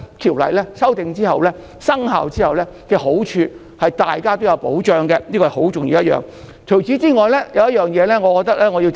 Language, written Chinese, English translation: Cantonese, 《條例草案》修訂及生效之後帶來的好處，是令大家受到保障，這是很重要的一點。, The benefit that comes along with the amendment made by the Bill upon its commencement is the protection for everyone . This is a very important point